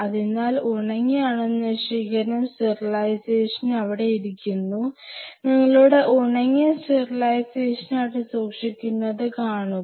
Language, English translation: Malayalam, So, you have the dry sterilizer sitting out there; see you keep your dry sterilizer there